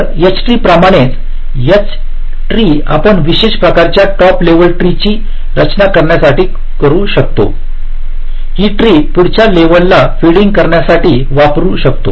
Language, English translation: Marathi, so again, h trees, ah, just like h trees, you can use it for special structure, like creating a top level tree than feeding it to the next level, like that you can use this also